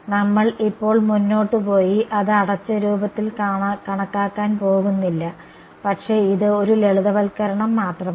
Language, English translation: Malayalam, We are not going to go ahead and calculate it in closed form right now, but is just a simplification